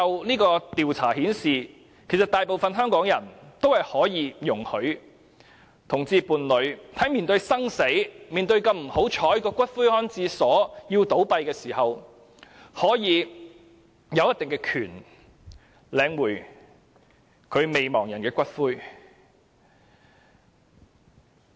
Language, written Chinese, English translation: Cantonese, 這項調查顯示，大部分香港人容許同性伴侶在面對生死或這麼不幸地要面對骨灰安置所倒閉時，可以有一定的權利領取其伴侶的骨灰。, This survey shows that most Hongkongers agree that same - sex partners can have a certain right to claim the ashes of their partner when they face life and death moments or unfortunately the closure of a columbarium